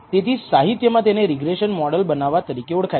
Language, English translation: Gujarati, So, in literature this is known as building a regression model